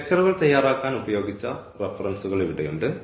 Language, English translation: Malayalam, So, here are the references used for preparing the lectures and